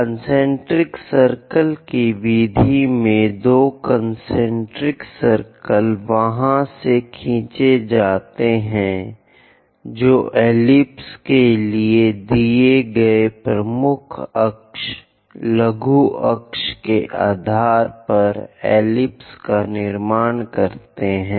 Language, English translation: Hindi, In this, two concentric circles are drawn from there how to construct an ellipse based on major axis, minor axis given for an ellipse